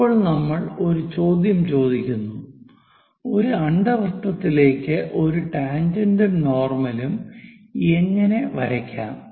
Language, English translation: Malayalam, Now, we will ask a question how to draw a tangent and normal to an ellipse